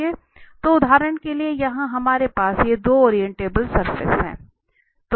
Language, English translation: Hindi, So for instance here we have these 2 orientable surfaces